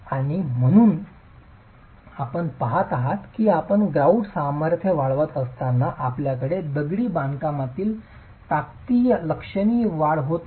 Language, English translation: Marathi, And you see that as you keep increasing the grout strength, you do not have significant increase in the strength of the masonry